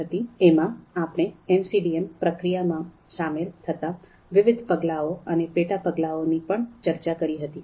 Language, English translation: Gujarati, We also discussed the sub steps that are involved in MCDM process